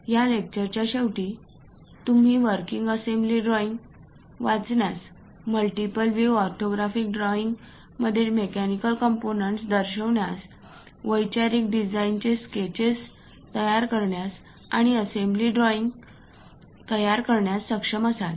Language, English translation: Marathi, At the end of the lectures, one would be able to read a working assembly drawing, represent mechanical components in multiview orthographics, create conceptual design sketches, and also create assembly drawings